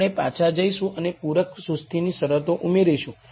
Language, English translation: Gujarati, We go back and add the complementary slackness conditions